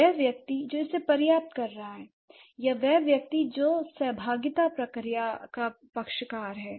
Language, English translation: Hindi, The person who is acquiring it or the person who is a party to the interaction process